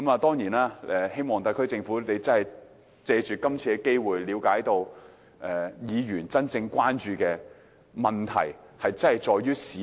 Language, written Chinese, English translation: Cantonese, 當然，我希望特區政府可以藉此機會了解議員真正關注的問題其實在於市民。, Certainly I hope the SAR Government can understand through this opportunity that Members genuine concern actually centres on the people